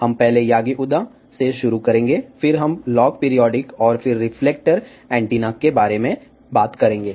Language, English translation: Hindi, We will first start with yagi uda, then we will talk about log periodic, and then reflector antennas